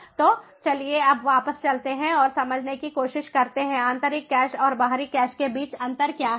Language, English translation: Hindi, so so let is now go back and try to understand what is the difference between the internal cache and the external cache